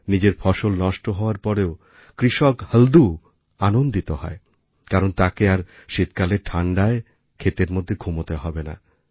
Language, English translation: Bengali, Halku the farmer is happy even after his crops are destroyed by frost, because now he will not be forced to sleep in his fields in the cold winter